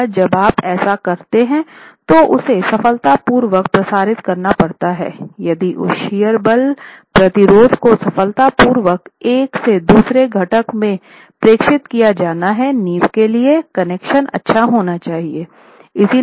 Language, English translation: Hindi, Once you do that, if that has to be transmitted successfully, if that shear force resistance has to be successfully transmitted from one component to the other, finally to the foundation, the connections have to be good